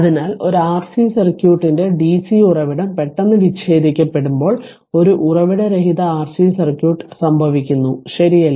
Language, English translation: Malayalam, So, when dc source of a R C circuit is suddenly disconnected, a source free R C circuit occurs right